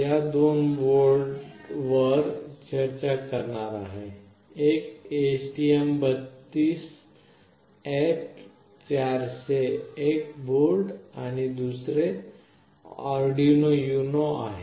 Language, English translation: Marathi, I will be discussing about two boards; one is STM32F401 board and another one is Arduino UNO